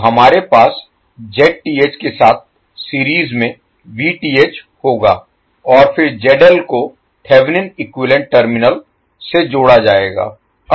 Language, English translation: Hindi, So, we will have Vth in series with Zth and then load ZL will be connected across the Thevenin equivalent terminal